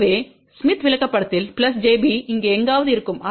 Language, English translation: Tamil, So, plus j b on the smith chart will be somewhere here